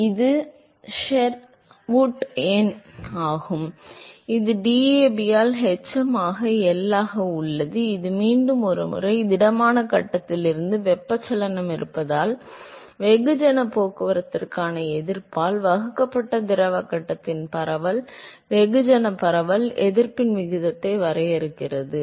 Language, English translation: Tamil, So, it is the Sherwood number which is hm into L by DAB, once again it defines the ratio of the resistance to diffusion, mass diffusion in the fluid phase divided by the resistance for mass transport due to the presence of convection from the solid phase to the fluid phase